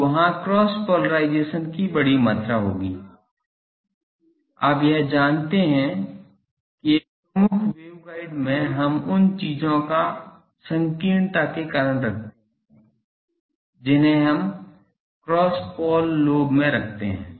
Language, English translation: Hindi, So, there will be sizable amount of cross polarization generated, you know this that in a dominant waveguide we keep the because of the narrowness of the things we keep the cross pole lobe